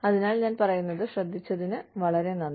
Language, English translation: Malayalam, So, thank you very much, for listening to me